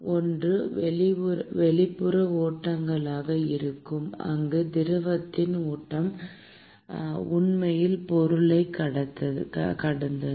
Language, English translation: Tamil, One will be the external flows, where the flow of the fluid is actually past the object